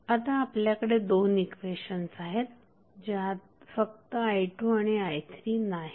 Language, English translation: Marathi, Now, you have these two equations where only unknowns are i 2 and i 3